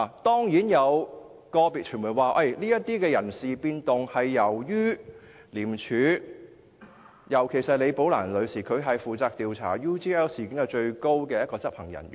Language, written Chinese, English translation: Cantonese, 當然，有個別傳媒表示，有關人事變動是由於"李寶蘭事件"所引致，而李女士是在廉署中負責調查 UGL 事件的最高執行人員。, Of course certain individual media organizations have ascribed these personnel changes to the Rebecca LI incident and Ms LI was the highest - ranking operational officer in ICAC who was responsible for investigating the UGL incident